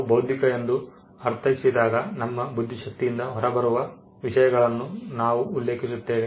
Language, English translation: Kannada, When we mean intellectual, we referred to things that are coming out of our intellect